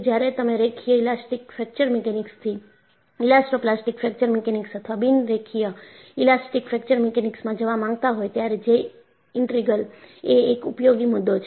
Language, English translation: Gujarati, When you want to go from Linear Elastic Fracture Mechanics to Elastoplastic Fracture Mechanics or Non linear Elastic Fracture Mechanics, J Integral is a useful concept